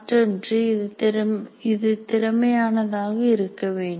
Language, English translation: Tamil, Then the other one is it should be efficient